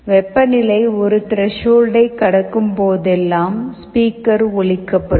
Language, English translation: Tamil, Also, whenever the temperature crosses a threshold, the alarm will sound